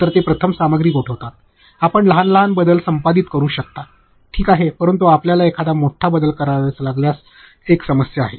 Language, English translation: Marathi, So, that they freeze the content first, you can have small changes editing is ok, but if you have to make a big change then it is a problem